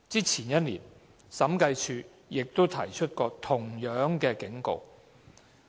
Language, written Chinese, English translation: Cantonese, 前年，審計署亦提出過同樣的警告。, In the year before last the Audit Commission also gave a similar warning